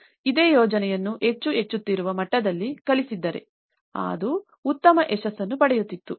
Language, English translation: Kannada, So, if this same project has been taught in a more of an incremental level, that would have been a better success